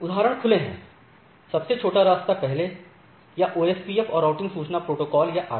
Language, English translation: Hindi, So, examples are open shortest path first or OSPF and routing information protocol or RIP